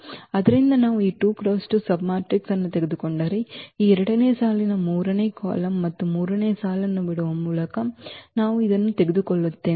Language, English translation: Kannada, So, if we take any this 2 by 2 submatrix for example, we take this one by leaving this second row third column and the third row